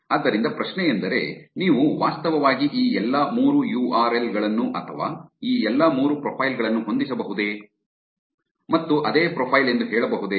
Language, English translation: Kannada, So the question is can you actually match all these three URLs or all these three profiles and say that it's the same profile